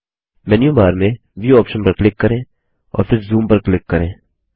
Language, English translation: Hindi, Click on the View option in the menu bar and then click on Zoom